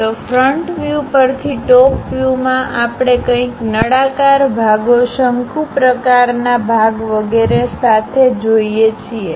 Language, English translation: Gujarati, So, from front view, top view we just see something like a cylindrical portions with conical portion and so on